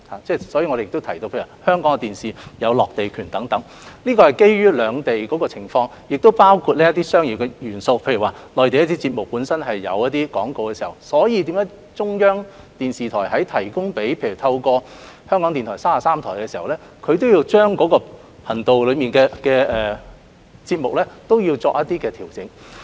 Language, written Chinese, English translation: Cantonese, 因此，我亦提到香港電視台的落地權，是基於兩地的不同情況，當中亦有商業元素，例如內地電視節目本身有廣告，而當中央電視台向港台電視33台提供節目時，也要將頻道內的節目作出一些調整。, Therefore I have also mentioned the landing right of Hong Kong TV broadcasters which arises from the different situations of the two places . Commercial elements must also be taken into consideration . For example when a Mainland TV programme contains commercial advertisements and CCTV provides the programme to RTHK TV 33 some adjustments will have to be made before the programme can be broadcast on the channel